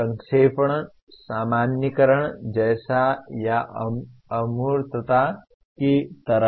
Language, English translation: Hindi, Summarization is more like generalization or abstracting